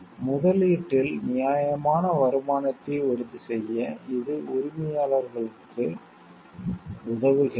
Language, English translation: Tamil, This helps the owners to assure a fair return on investment